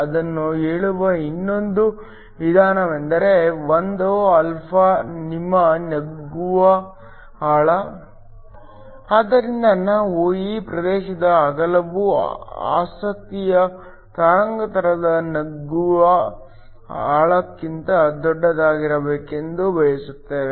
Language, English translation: Kannada, Another way of saying that is that 1 is your penetration depth, so that we want the width of the region to be much larger than the penetration depth of the wavelength of interest